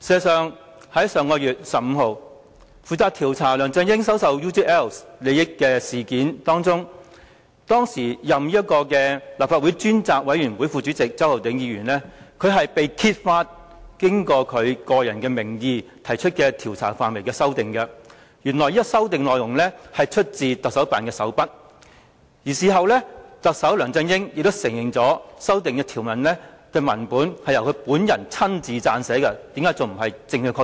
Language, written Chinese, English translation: Cantonese, 上月15日，在負責調查梁振英收受 UGL 利益事件的立法會專責委員會中擔任副主席的周浩鼎議員，被揭發以其個人名義就調查範圍內容提出的修改，原來是出自香港特別行政區行政長官辦公室的手筆，而特首梁振英事後亦承認修訂內容是由他本人親自撰寫的，難道這還不是證據確鑿？, It was uncovered on 15 May that the amendments proposed by Mr Holden CHOW Deputy Chairman of the Legislative Council Select Committee to inquire into the allegation of LEUNG Chun - ying receiving the benefits of UGL to the areas of study in his own capacity were actually made by the Chief Executives Office of HKSAR . Chief Executive LEUNG Chun - ying also admitted in the aftermath that the amendments were made by him . Can we still say that the case is not substantiated?